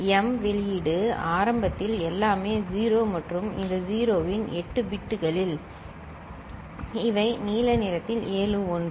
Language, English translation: Tamil, M output initially is all 0’s right and out of this all 0’s 8 bits this ones in the blue the seven one ok